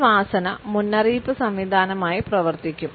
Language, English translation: Malayalam, A smell can also act as a system of warning